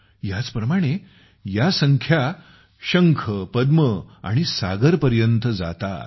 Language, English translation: Marathi, Similarly this number goes up to the shankh, padma and saagar